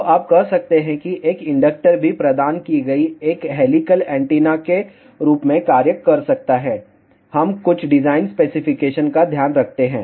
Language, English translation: Hindi, So, you can say even an inductor can act as an helical antenna provided, we take care of certain design specification